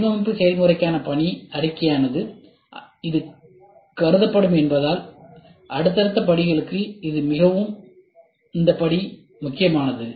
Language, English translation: Tamil, The step is very important for successive steps, since it will be treated as the mission statement for the design process